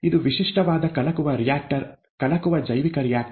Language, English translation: Kannada, This is a, this is a typical stirred reactor, stirred bioreactor